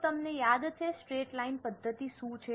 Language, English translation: Gujarati, Do you remember what is straight line method